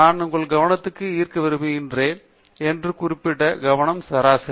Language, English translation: Tamil, Particular attention that I want to draw your attention to is the mean